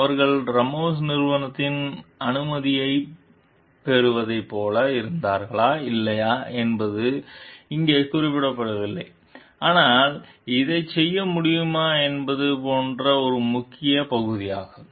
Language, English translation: Tamil, Whether they were like taking the permission of Ramos s company or not is not mentioned over here, but that is an essential part like whether this can be done